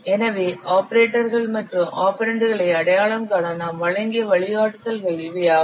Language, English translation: Tamil, So these are the guidelines we have given for identifying the operators and operands